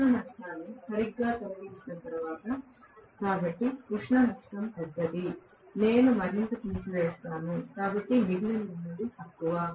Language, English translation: Telugu, After removing the heat loss exactly, so the heat loss is larger, I will remove more, so what is left over is less